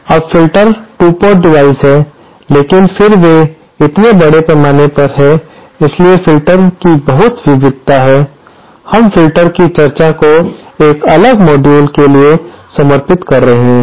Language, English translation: Hindi, Now filters are 2 port devices but then since they are so extensively, there is so much variety of these filters, we shall be devoting the discussion of filters to a separate module